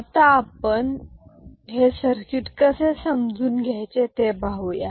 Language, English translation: Marathi, And, how we realize this circuit